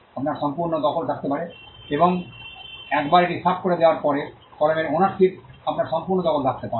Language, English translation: Bengali, You could have complete possession and once you clear it off, then you could have complete possession on ownership of the pen